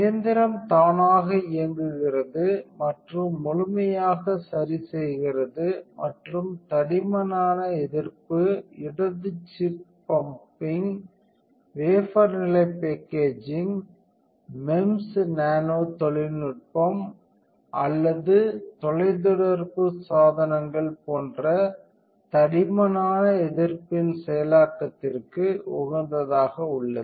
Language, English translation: Tamil, The machine runs and adjusts fully automatically and is optimized for the processing of thick resists such as with thick resist, left chip bumping, wafer level packaging, MEMS nanotechnology or telecommunication devices